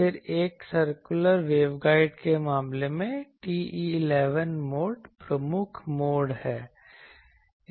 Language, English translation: Hindi, Then in case of a circular waveguide TE11 mode is the dominant mode